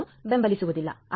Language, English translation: Kannada, 1, it does not support 1